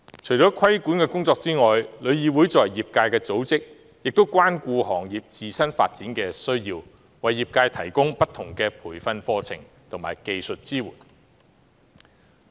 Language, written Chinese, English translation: Cantonese, 除規管的工作外，旅議會作為業界的組織，也關顧行業自身發展的需要，為業界提供不同的培訓課程及技術支援。, Apart from regulatory work as an association of the industry TIC pays attention to the need for development of the industry and provides different training courses and technical support to the industry